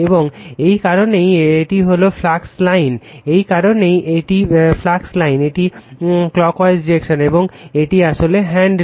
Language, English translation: Bengali, And that is why this one that is why this is the flux line, and this is that is why this is the flux line, it is clockwise direction, this is actually right hand rule right